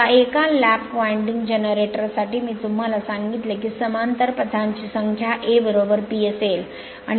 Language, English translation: Marathi, Now for a lap winding generator I told you number of parallel paths will be A is equal to P